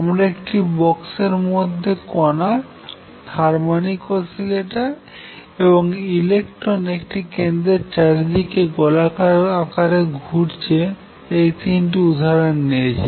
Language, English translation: Bengali, So, I will take this particle in a box, I will take the harmonic oscillator and I will take this electron going around in a circle here